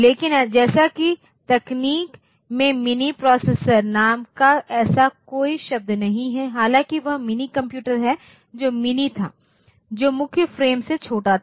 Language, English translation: Hindi, But as such in the technology there is no such term called mini processor though that is that is minicomputer which was of mini which was the smaller than main frames